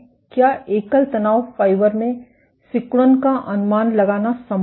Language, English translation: Hindi, Is it possible to estimate the contractility in a single stress fiber